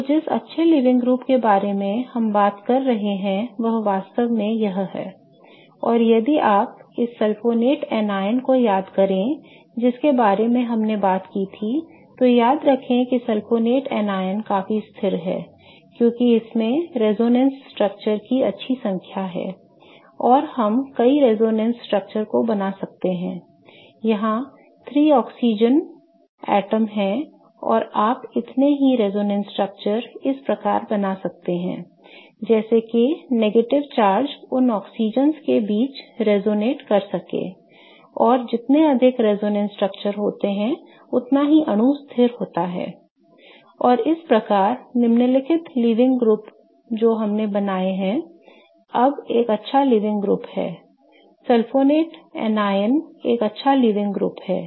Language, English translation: Hindi, And if you remember this sulfonate anion that we talked about, remember the sulfonate anion is quite stable because this has good number of resonance structures and I can draw as many resonance structures there are three oxygen atoms and you can draw the corresponding number of resonance structures such that the negative charge can resonate between those oxygens and the more the number of resonance structures the more stable is the molecule, right